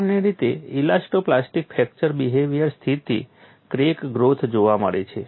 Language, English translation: Gujarati, In elasto plastic fracture behavior, stable crack growth is usually observed